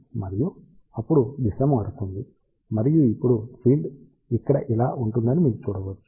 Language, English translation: Telugu, And, then the direction changes and you can see that now the field will be like this here